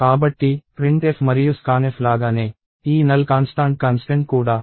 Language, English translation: Telugu, So, just like printf and scanf, this constant null is also defined in stdio dot h <stdio